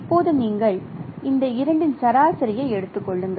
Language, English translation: Tamil, So you simply take the average of these two